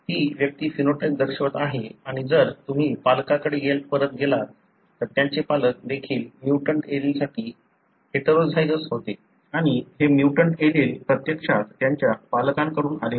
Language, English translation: Marathi, The individual is showing the phenotype and if you go back to the parents, their parents too were heterozygous for the mutant allele and this mutant allele actually came from their parents